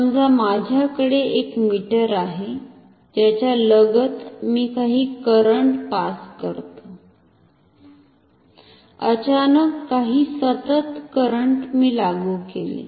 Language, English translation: Marathi, Suppose, I have a meter across which I pass some current, some constant current I applied suddenly